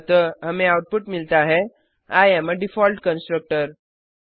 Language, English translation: Hindi, So we get output as I am a default constructor